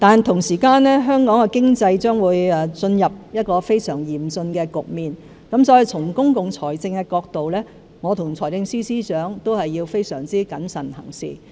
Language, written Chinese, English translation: Cantonese, 同時，香港的經濟將會進入非常嚴峻的局面，所以從公共財政的角度來看，我和財政司司長必須非常謹慎行事。, Moreover as Hong Kongs economy is going to be in a very grave situation the Financial Secretary and I must exercise great prudence from the perspective of public finance